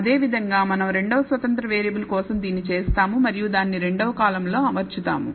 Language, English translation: Telugu, Similarly we do this for the second independent variable and arrange it in the second column